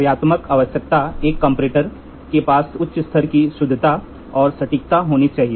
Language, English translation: Hindi, Functional requirement a comparator must have a high degree of accuracy and precision